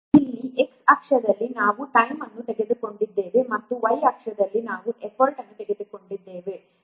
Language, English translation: Kannada, Here in the X axis we have taken the time and Y axis we have taken the effort